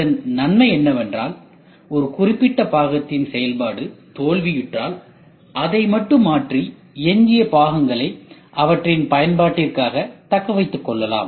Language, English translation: Tamil, The advantage is going to be if one particular function fails then replace this alone rest of the old parts can be retain for their application